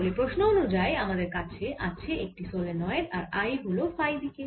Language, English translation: Bengali, so the problem is like that: we are having some long solenoid, so i, i is in phi direction